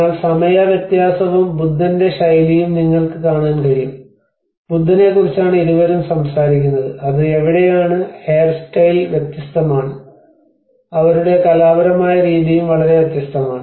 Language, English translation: Malayalam, \ \ But you can see the time difference, the style of Buddha, both of them are talking about the Buddha\'eds where it is the hairstyle have been different, and their artistic style is also very different